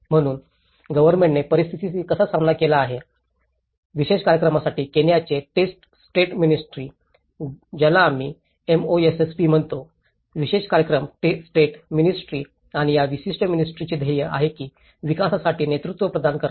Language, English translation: Marathi, So, how the government have tackled with the situation, the Government of Kenyaís ministry of state for special programs, which we call it as MoSSP, the Ministry of State for Special Programs and this particular ministryís mission is to provide the leadership in the development of risk reduction measures and disaster management, within Kenya